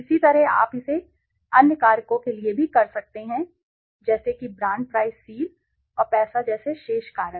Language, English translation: Hindi, Similarly you can do it for the other factors also remaining factors like brand price seal and money